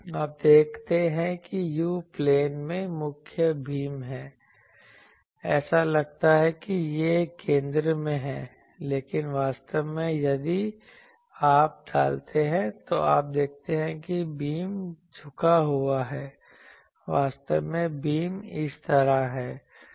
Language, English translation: Hindi, You see that main beam is here in the u plane, it looks that it is in the center, but actually if you put you see the beam is tilted, actually the beam is like this